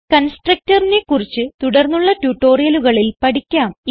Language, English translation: Malayalam, We will learn about constructor in the coming tutorials